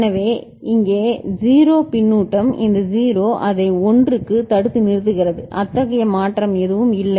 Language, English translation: Tamil, So, 0 feedback here this 0 is holding back it to 1 there is no such change